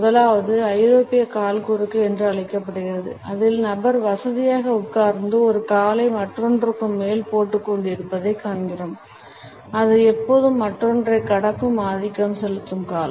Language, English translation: Tamil, The first is known as the European leg cross, in which we find that the person is sitting comfortably, dripping one leg over the other; it is always the dominant leg which crosses over the other